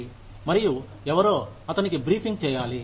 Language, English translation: Telugu, And somebody, of course, must be briefing him